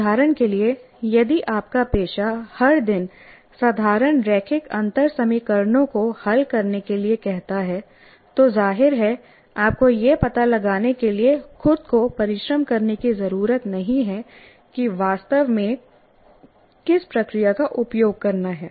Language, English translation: Hindi, If, for example, your profession calls for solving ordinary linear differential equations every day, then obviously you don't have to exert yourself to find out what exactly the procedure I need to use